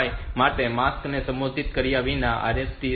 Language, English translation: Gujarati, 5 without modifying the mask for 5